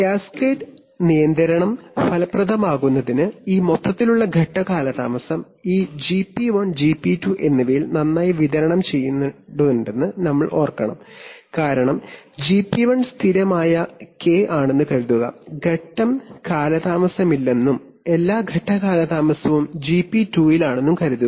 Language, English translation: Malayalam, But for cascade control to be effective, we must remember that this overall phase lag must be well distributed over this GP1 and GP2 because suppose, suppose that GP1 is a constant k, there is no phase lag and all the phase lag is in GP2